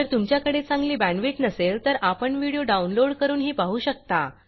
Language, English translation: Marathi, If you do not have good bandwidth, you can download and watch the videos